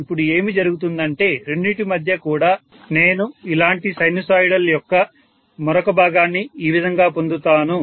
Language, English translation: Telugu, Now what will happen is in between the two also I will get another portion of sinusoids like this